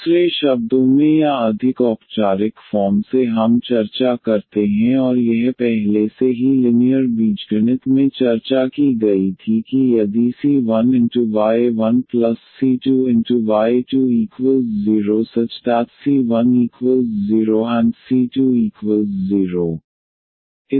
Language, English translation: Hindi, In other words or more formally we discuss and that was already discussed in linear algebra that if the c 1 y 1 and plus c 2 y 2 the c 1 c 2 are some constants